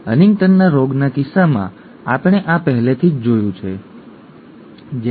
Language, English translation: Gujarati, We have already seen this in the case of Huntington’s disease, okay